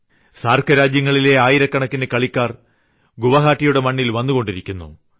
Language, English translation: Malayalam, Thousands of SAARC countries' players are coming to the land of Guwahati